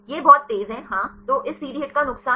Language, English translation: Hindi, very fast It is very fast; so, the disadvantages of this CD HIT